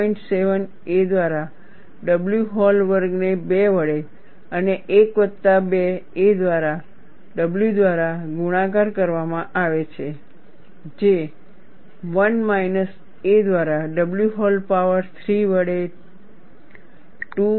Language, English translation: Gujarati, 7 a by w whole squared divided by 2 into 1 plus 2 a by w multiplied by 1 minus a by w whole power 3 by 2